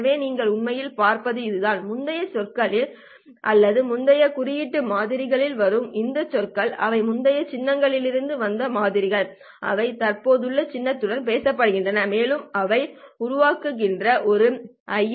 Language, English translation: Tamil, So this is what you would actually see and it is very clear that these terms which are coming from the previous sample or the previous symbol samples, right, these are the samples from the previous symbol, they are talking to the present symbol and giving rise to an ISI